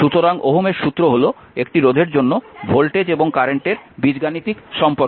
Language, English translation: Bengali, So, Ohm’s law is the algebraic relationship between voltage and current for a resistor